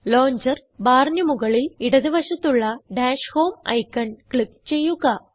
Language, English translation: Malayalam, Click on the Dash Home icon, at the top left hand side of the launcher bar